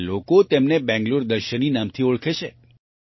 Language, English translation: Gujarati, Now people know it by the name of Bengaluru Darshini